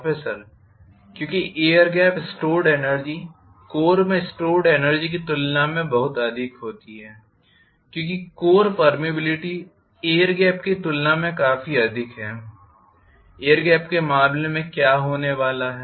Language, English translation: Hindi, Because the air gap stored energy happens to be much much higher as compared to what is being stored in the core, because the core permeability is quite high as compared to what is going to happen in terms of the air gap